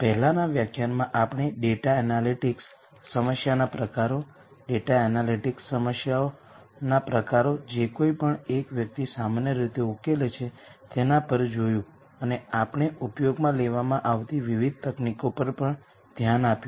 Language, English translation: Gujarati, In the previous lecture, we looked at data analytic problem types, the types of data analytics problems that one typically solves and we also looked at the various techniques that have a being used